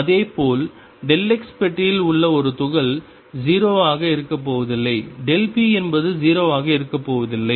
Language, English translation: Tamil, Similarly an particle in a box delta x is not going to be 0; delta p is not going to be 0